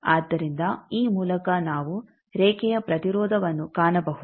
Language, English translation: Kannada, So, by this we can find the line impedance